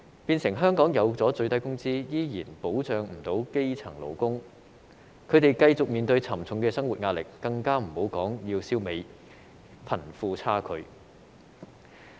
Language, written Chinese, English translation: Cantonese, 變成香港設有最低工資，依然未能保障基層勞工，他們繼續面對沉重的生活壓力，更不要說消弭貧富差距。, As a result we are still unable to protect the grass - roots workers despite the presence of a minimum wage in Hong Kong . Workers continue to face the heavy burden of life not to mention our wish to eradicate the disparity between the rich and the poor